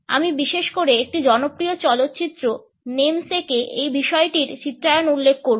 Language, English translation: Bengali, I would particularly refer to its portrayal in a popular movie Namesake